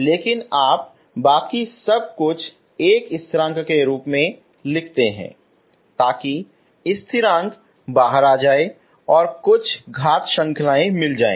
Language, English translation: Hindi, But you write everything else in terms of one constant that means so that the constant comes out and some power series, okay